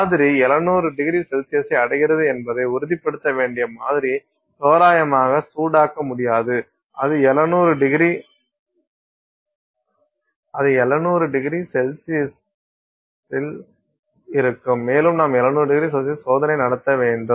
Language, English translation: Tamil, You have to ensure that the sample reaches that 700 degrees C, it stays at 700 degree C and you are running the test at 700 degree C